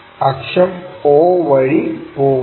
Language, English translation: Malayalam, Axis, axis goes all the way through o